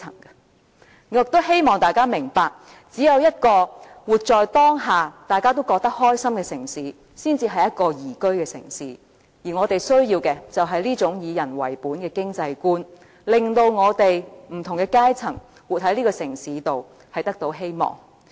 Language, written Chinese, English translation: Cantonese, 我亦希望大家明白，只有一個活在當下，大家都覺得開心的城市，才是一個宜居的城市，而我們需要的是這種以人為本的經濟觀，令到活在這個城市中的不同階層也得到希望。, I hope everyone can realize that a city can be described as livable only when everyone living in it is happy . What we need is this kind of people - oriented economic mindset one which can give hope to all strata of people living in a city